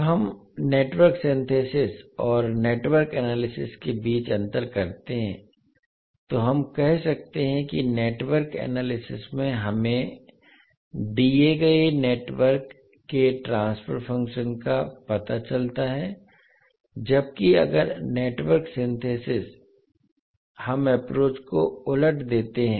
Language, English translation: Hindi, So when we differentiate between Network Synthesis and Network Analysis, we can say that in Network Analysis we find the transfer function of a given network while, in case if Network Synthesis we reverse the approach